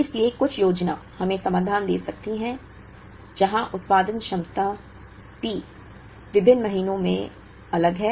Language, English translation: Hindi, So, aggregate planning could give us solutions where the production capacity P available is different in different months